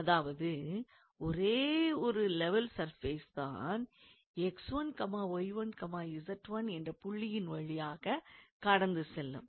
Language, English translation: Tamil, And this implies that hence only one level surface passes through the point x 1, y 1, z 1